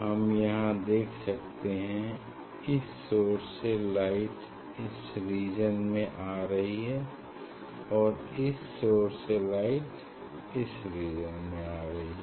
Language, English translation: Hindi, from this source light is coming in this region and from this source light is coming in this region